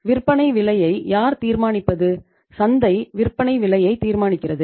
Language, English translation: Tamil, And selling price who determines, market determines the selling price